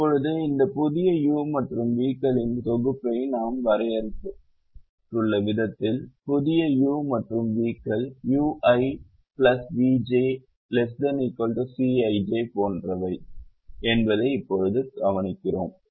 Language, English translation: Tamil, now, when we have this new set of u's and v's, the way we have defined it, we now observe that the new set of u's and v's are such that u i plus v j is less than or equal to c i j